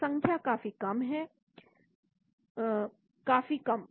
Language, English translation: Hindi, so numbers are quite low very, very low